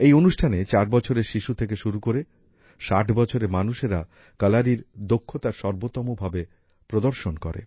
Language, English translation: Bengali, In this event, people ranging from 4 years old children to 60 years olds showed their best ability of Kalari